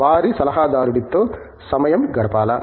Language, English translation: Telugu, Spend time with their adviser